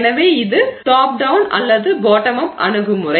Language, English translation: Tamil, So you can think of it as a bottom up approach